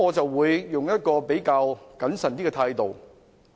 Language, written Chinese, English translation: Cantonese, 我會採取一種較謹慎的態度。, I will adopt a more cautious attitude